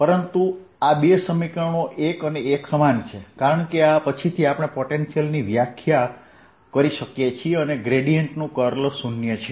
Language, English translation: Gujarati, but these two equations are one and the same thing, because from this follows that i, we can define a potential, and curl of a gradient is zero